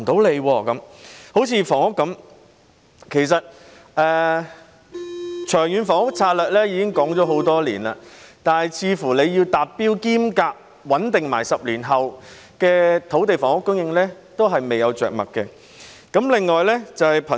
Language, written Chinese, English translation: Cantonese, 例如房屋，其實《長遠房屋策略》已經公布多年，但似乎就着何時達標並穩定10年後的土地房屋供應，政府仍未有着墨。, Take housing problem as an example . In fact the Long Term Housing Strategy has been announced for years but it seems that the Government still remains silent on when the target will be achieved with a stabilized supply of land and housing 10 years later